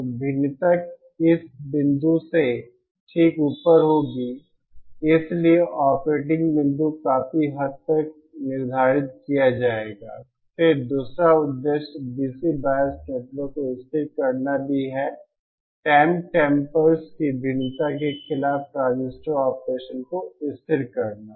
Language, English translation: Hindi, So the variation will be above this point okay so that is quite setting the operating point then the other purpose is stabilises the DC bias network also stabilises transistor operation against variation of “temp tempers”